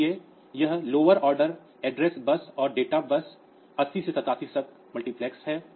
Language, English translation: Hindi, So, you have got this lower order address bus and data bus multiplexed 80 to 8 7